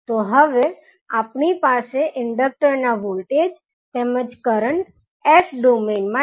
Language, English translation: Gujarati, So, now we have the inductor voltage as well as inductor current in s domain